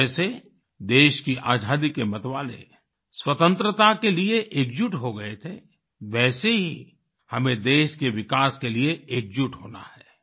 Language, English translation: Hindi, Just the way champion proponents of Freedom had joined hands for the cause, we have to come together for the development of the country